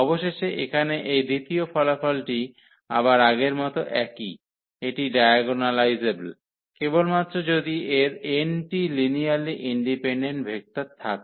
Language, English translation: Bengali, So, eventually this second result here is again the same as this previous one; that is diagonalizable, if and only if it has n linearly independent vectors